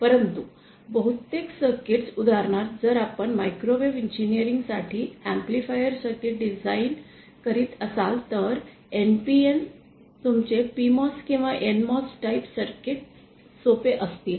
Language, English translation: Marathi, But most of the circuits, for example if you are designing an amplifier circuit for microwave engineering, it might be a simple say NPN or your PMOS or NMOS type circuits